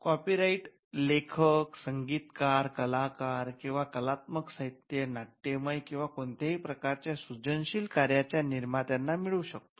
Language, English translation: Marathi, Copyright can vest on the authors, composers, artists or creators of artistic literary, dramatic or any form of creative work